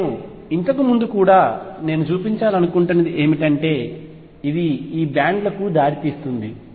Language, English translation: Telugu, I would earlier, what I want to show is that this leads to bands